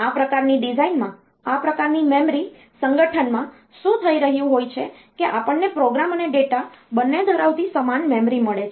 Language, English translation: Gujarati, In this type of design, in this type of memory organization, what is happening is that we have got the same memory containing both program and data